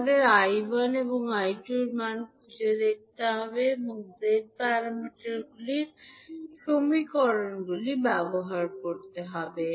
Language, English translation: Bengali, We have to use the Z parameter equations to find out the values of I1 and I2